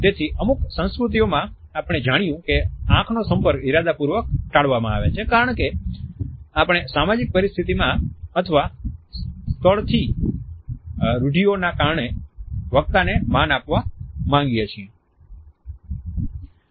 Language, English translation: Gujarati, So, in certain cultures we find that the eye contact is deliberately avoided because we want to pay respect to the speaker because of the social situation or because of the convention of the land